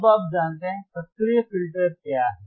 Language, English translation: Hindi, Now you know, what are active filters